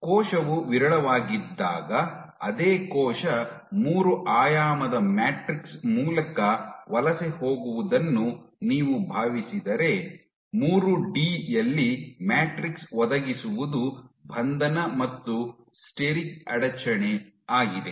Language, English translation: Kannada, But the same cell if you think of a cell migrating through a 3 dimensional matrix when it is sparse; in 3D what matrix provides is confinement and steric hindrance